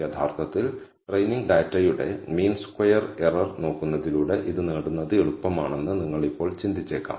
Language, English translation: Malayalam, Now, you might think that it is easy to actually obtain this by looking at the mean squared error of the training data